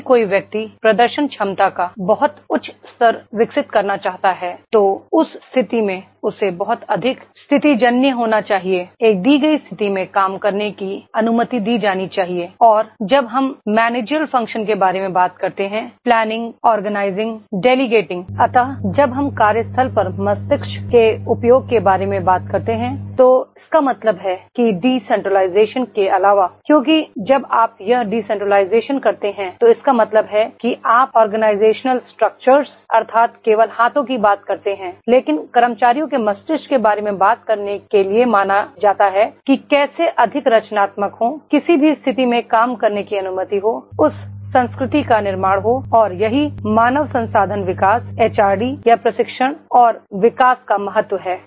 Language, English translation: Hindi, If a person wants to develop a very high level of the performance ability then in that case he has to be very much situational, that is he has as in a given situation should be allowed to work and when we talk about the managerial functions; planning, organising, delegating, so when we talk about the use of brain at the workplace it means that in addition to the decentralisation because when you do this decentralisation it means that only organisational structures that is only you are talking about the hands but when we are supposed to talk about the brain of the employees, how to be more creative, in a given situation allow to do the work, creating that culture and that is the important of the HRD, human resource development or training and development